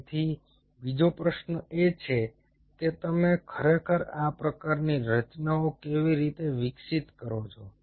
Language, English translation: Gujarati, another question is how you really develop these kind of structures